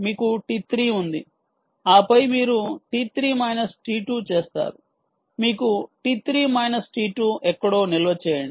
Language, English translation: Telugu, ok, you have t three minus t two, store it somewhere